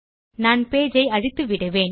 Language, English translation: Tamil, Ill just kill the page